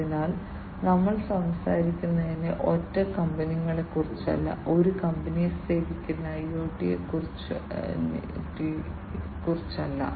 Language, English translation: Malayalam, So, we were talking about that we are not talking about single companies, we are not talking about IoT serving a single company